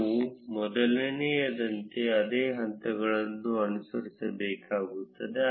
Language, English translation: Kannada, We would need to follow the same steps as before